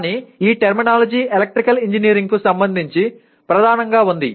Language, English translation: Telugu, But this terminology is dominantly with respect to Electrical Engineering